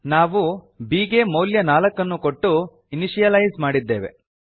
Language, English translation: Kannada, We have initialized b, by assigning a value of 4 to it